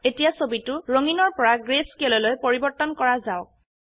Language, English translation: Assamese, Now let us change the picture from color to greyscale